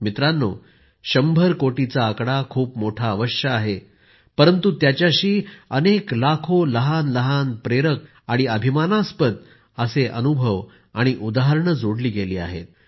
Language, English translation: Marathi, the figure of 100 crore vaccine doses might surely be enormous, but there are lakhs of tiny inspirational and prideevoking experiences, numerous examples that are associated with it